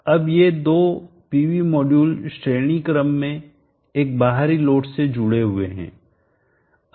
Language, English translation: Hindi, Now these two PV modules are connected in series to a extent load